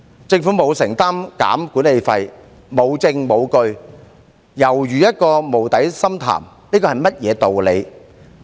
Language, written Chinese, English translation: Cantonese, 政府沒有承擔削減管理費、沒證沒據，尤如一個無底深潭，這是甚麼道理？, The Government has not promised to reduce the management fee but without any proof or evidence for the undertaking this is just like a bottomless pit . What kind of rationale is it?